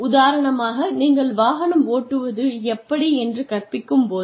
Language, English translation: Tamil, For example, when you teach a person, driving